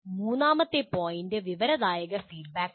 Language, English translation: Malayalam, And then third point is informative feedback